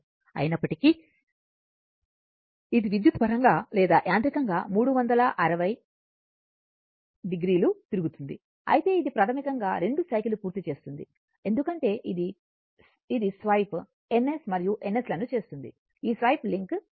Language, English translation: Telugu, Although, it will rotate electrically or mechanically 360 degree, but it will basically complete 2 cycle because it will swap swipe N S and N S, this swipe has to link